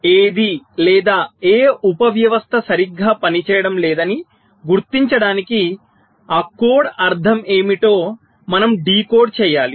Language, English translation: Telugu, so we will have to decode what that code means, to identify what or which sub system is not working correctly